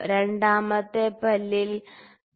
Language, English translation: Malayalam, 62 in the third tooth 3